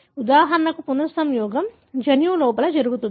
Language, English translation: Telugu, For example, the recombination happens within the gene